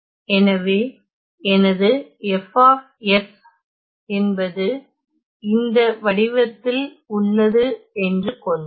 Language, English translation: Tamil, Let us say; so let us say my F S is of this form